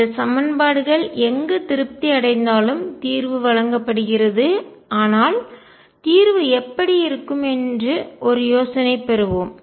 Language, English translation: Tamil, Then the solution is given by wherever these equations is satisfied, but let us get an idea as to what solution would look like